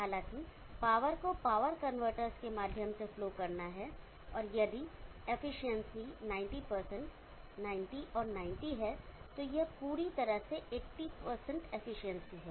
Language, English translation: Hindi, However, the power is to flow through to power convertors and efficiency is if this is 90% 90 and 90 totally overall 80% efficiency